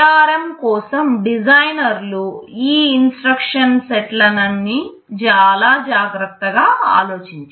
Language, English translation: Telugu, The designers for ARM have very carefully thought out these set of instructions